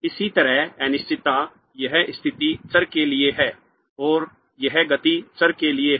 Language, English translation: Hindi, Likewise the uncertainty this is for the position variable and this is for the momentum variable